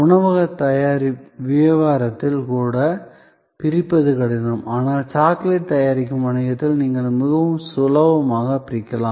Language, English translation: Tamil, Even in a restaurant business, it was difficult to segregate, but in a business manufacturing chocolate, you could quite separate